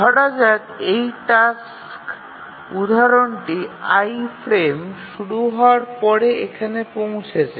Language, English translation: Bengali, Let's say we have this task instance I arrives here just after the frame starts